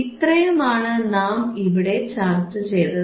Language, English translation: Malayalam, tThat is what we discussed